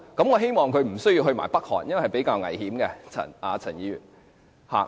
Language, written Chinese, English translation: Cantonese, 我希望她不要前往北韓，因為是比較危險的，陳議員。, However I hope that Ms CHAN will not travel to North Korea as it will be quite dangerous to do so